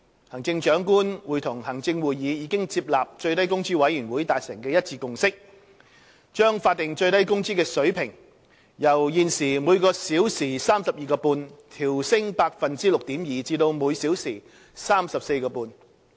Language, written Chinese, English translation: Cantonese, 行政長官會同行政會議已接納最低工資委員會達成的一致共識，將法定最低工資水平由現時每小時 32.5 元調升 6.2% 至每小時 34.5 元。, The Chief Executive in Council has accepted the consensual recommendation of the Minimum Wage Commission that the current SMW rate of 32.5 per hour be increased by 6.2 % to 34.5 per hour